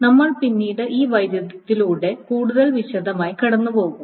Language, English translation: Malayalam, And we will go over these conflicts in much more detail later